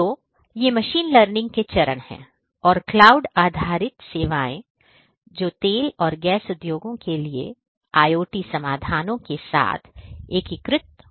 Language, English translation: Hindi, So, these are the steps in the machine learning and cloud based services that are going to be integrated with the IoT solutions for the oil and oil and gas industry